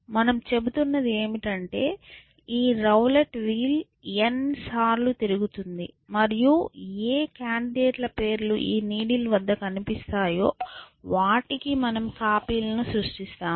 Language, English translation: Telugu, All we are saying is that these rule wheel we will spin n times and whichever names of the candidates appear against the needled we will create a copy of that